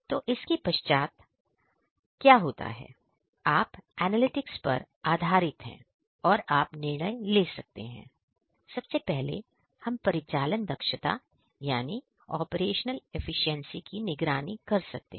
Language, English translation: Hindi, So, thereafter what happens is you can based on analytics, you can make decisions, decisions about the first of all you know we can monitor the operational efficiency